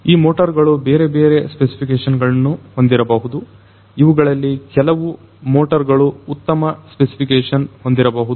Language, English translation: Kannada, These motors can be of different specifications, some of these motors can be of higher specification